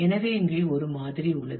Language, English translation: Tamil, So, here is a sample one